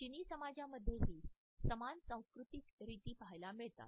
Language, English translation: Marathi, The same cultural norms are witnessed in the Chinese societies also